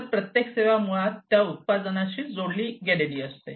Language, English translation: Marathi, So, every service is basically linked to that product